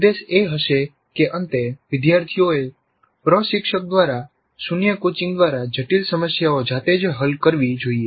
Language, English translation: Gujarati, The objective would be that at the end students must be able to solve complex problems all by themselves with zero coaching by the instructor